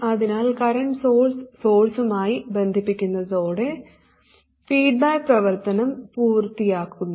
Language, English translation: Malayalam, So simply connecting the current source to the source also completes the feedback action